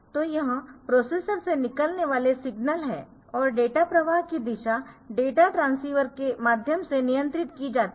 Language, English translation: Hindi, So, this is the signal from processor coming out of the processor to controller direction of data flow through the data transceiver